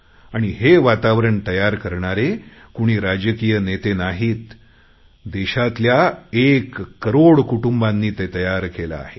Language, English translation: Marathi, This atmosphere has not been created by any political leader but by one crore families of India